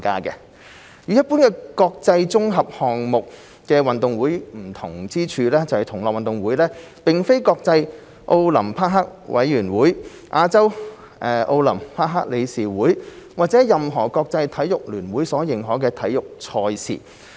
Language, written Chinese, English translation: Cantonese, 與一般的國際綜合項目運動會不同之處在於，同樂運動會並非國際奧林匹克委員會、亞洲奧林匹克理事會或任何國際體育聯會所認可的體育賽事。, Unlike international multi - sports games in general GG2022 is not a sports event recognized by the International Olympic Committee the Olympic Council of Asia or any international sports federation